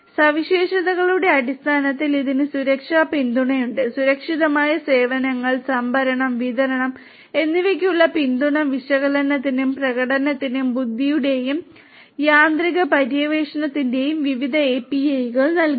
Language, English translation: Malayalam, In terms of the features it has security support; support for secured services, procurement and distribution provides various APIs for analysis and automated exploration of performance and intelligence